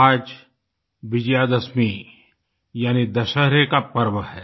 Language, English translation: Hindi, Today is the festival of Vijaydashami, that is Dussehra